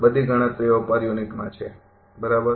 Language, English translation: Gujarati, All calculations are in per unit, right